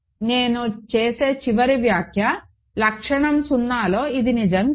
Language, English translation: Telugu, And final remark I will make is this is not true in characteristic 0